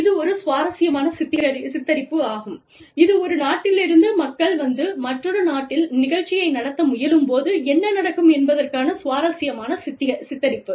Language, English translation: Tamil, It is quite an interesting picturization, quite an interesting depiction of, what happens, when people from one country, come and try and run the show, in another country